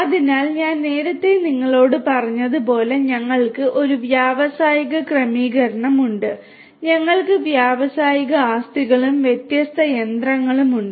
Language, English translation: Malayalam, So, as I was telling you earlier we have in an industrial setting we have industrial assets and different machinery